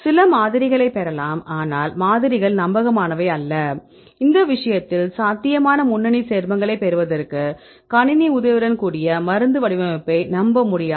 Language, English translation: Tamil, We can get some models, but the models are not reliable, in this case we cannot trust this computer aided drug design to get the probable lead compounds fine